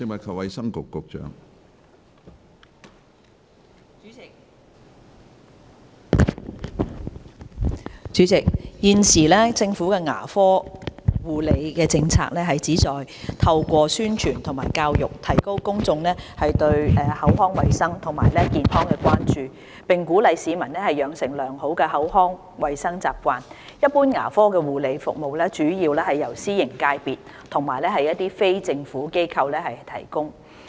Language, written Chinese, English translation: Cantonese, 主席，現時，政府的牙科護理政策旨在透過宣傳和教育，提高公眾對口腔衞生及健康的關注，並鼓勵市民養成良好的口腔衞生習慣，一般牙科護理服務主要由私營界別和非政府機構提供。, President the Governments current policy on dental services aims to raise public awareness of oral health and encourage the public to develop proper oral health habits through promotion and education . Curative dental care services are mainly provided by the private sector and non - governmental organizations NGOs